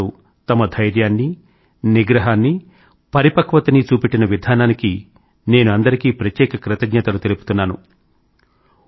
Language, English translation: Telugu, I am particularly grateful to them for the patience, restraint and maturity shown by them